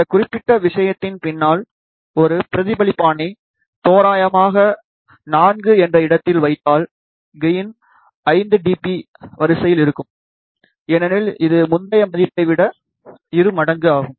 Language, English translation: Tamil, And if you put a reflector behind this particular thing at an approximate distance of lambda by 4, then gain will be of the order of 5 dB, because it is double of the previous value